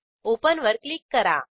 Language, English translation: Marathi, Click on Open button